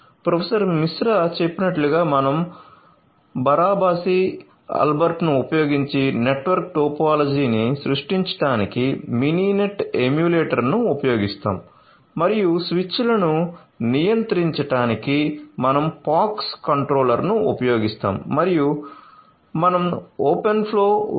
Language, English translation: Telugu, So, vice professor Misra mentioned that we will be using the Mininet emulator to creating the network topology using Barabasi Albert and we use the POX controller to control the switches and we are using open flow 1